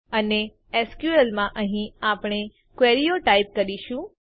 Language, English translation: Gujarati, and this is where we will type in our queries in SQL